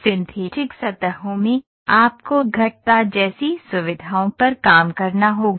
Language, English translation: Hindi, In synthetic surfaces, you have to work on features like curves